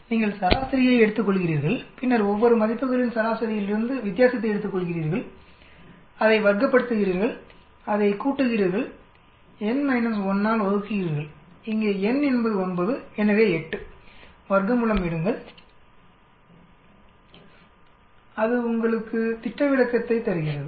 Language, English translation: Tamil, You take the mean and then you take the difference from the mean of each values, square it up, sum it up, divide by n minus 1, here in n is 9 so 8 take a square root, that gives you standard deviation